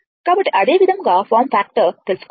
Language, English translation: Telugu, So, similarly form factor you can find out